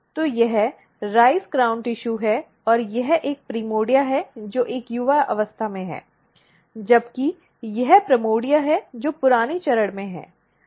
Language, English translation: Hindi, So, this is the rice crown tissue and this is a primordia which is at a younger stage whereas, this is the primordia which is at older stage